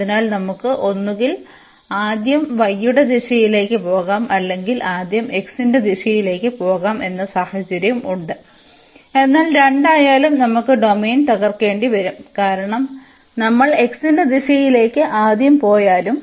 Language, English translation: Malayalam, So, again we have the situation that we can either go in the direction of y first or we go in the direction of x first, but in either case we have to break the domain because even if we go first in the direction of x